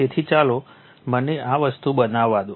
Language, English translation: Gujarati, So, let me just let me make it this thing